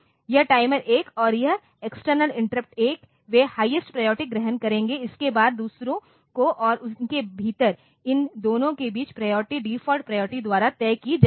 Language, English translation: Hindi, So, your interrupt INT 1, sorry this timer 1 and this external interrupt 1 to they will assume the highest priority, followed by others and within them within these two the priority will be decided by the default priority order